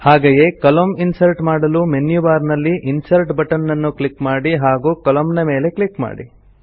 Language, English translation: Kannada, Similarly, for inserting a new column, just click on the Insert button in the menu bar and click on Columns